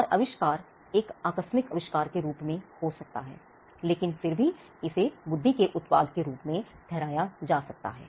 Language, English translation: Hindi, And invention it could be as serendipitous invention, but nevertheless be attributed as a product of the intellect